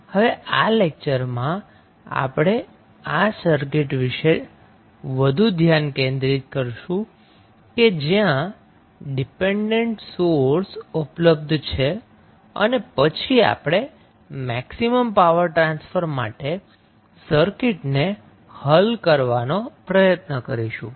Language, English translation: Gujarati, In this lecture, we will more focused about the circuit where the dependent sources are available, and we will try to solve the circuit for maximum power transfer